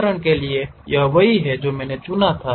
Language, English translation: Hindi, For example, this is the one what I picked